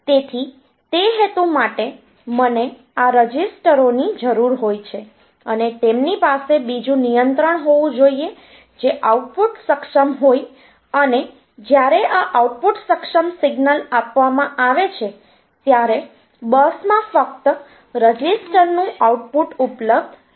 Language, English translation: Gujarati, So, for that purpose what I need is these registers they should have another control which is output enable and when this output enable signal is given then only the output of the register be available on to the bus